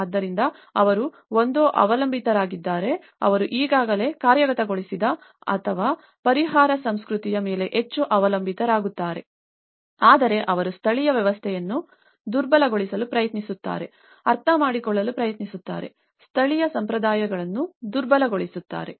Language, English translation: Kannada, So, they either depend on the, they either rely more on what they have already executed and also the relief culture though they try to undermine the local systems, they try to understand, undermine the local traditions